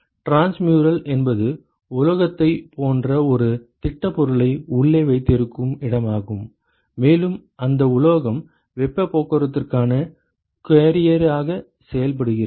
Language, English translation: Tamil, Transmural is where you have a solid which is present inside like a metal for example, and that metal acts as a carrier for heat transport